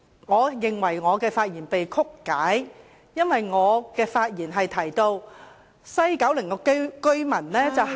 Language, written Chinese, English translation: Cantonese, 我認為我的發言被曲解了，因為我提到西九龍居民是......, I think he has misrepresented my remarks because I actually said that Kowloon West residents